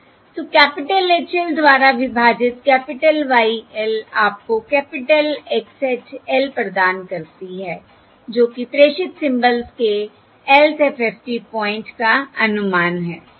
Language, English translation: Hindi, So capital Y L divided by capital H L gives you capital X hat L, which is the estimate of the Lth FFT point of the transmitted symbol